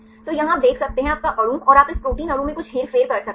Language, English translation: Hindi, So, here you can see the; your molecule and you can do some manipulations in this a protein molecule right